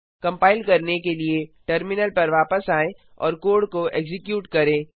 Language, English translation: Hindi, Coming back to the terminal to compile and execute the code